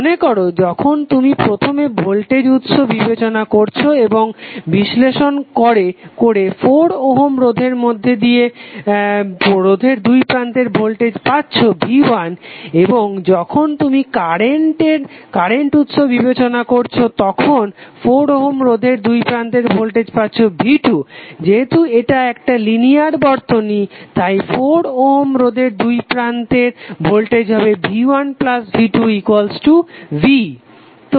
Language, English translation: Bengali, So suppose when you take voltage source first and analyze this circuit you have got voltage across 4 ohm resistor as V1 when you apply circuit apply current source in the circuit you get voltage across resistor as V2 since it is a linear circuit the final voltage across resistor would be V1 plus V2